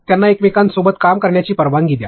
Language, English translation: Marathi, Allow them to work with each other